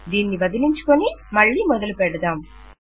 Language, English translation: Telugu, Lets get rid of this and start again